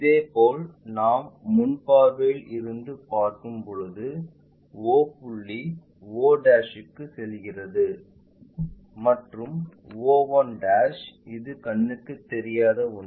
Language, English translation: Tamil, Similarly, when we are looking from front view o point goes to o' in the front view always be having's and o one' which is that one invisible